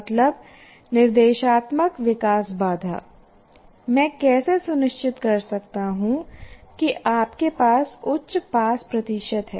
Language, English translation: Hindi, And instructional development constraint is required to achieve high pass percentage